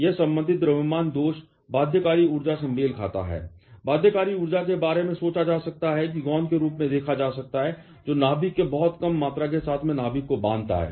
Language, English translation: Hindi, This concerned mass defect corresponds to the binding energy; binding energy can be thought about or can be viewed as the glue which binds the nucleons together in the very small volume of the nucleus